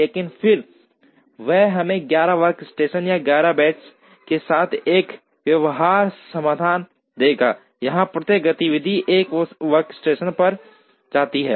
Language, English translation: Hindi, But, then that would give us a feasible solution with 11 workstations or 11 benches, where each activity goes to 1 workstation